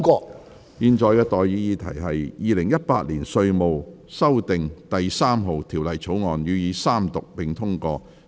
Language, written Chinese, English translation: Cantonese, 我現在向各位提出的待議議題是：《2018年稅務條例草案》予以三讀並通過。, I now propose the question to you and that is That the Inland Revenue Amendment No . 3 Bill 2018 be read the Third time and do pass